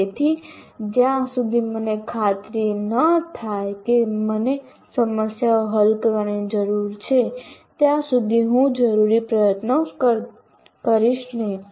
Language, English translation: Gujarati, So unless I am convinced that I need to solve problems, I will not put the required effort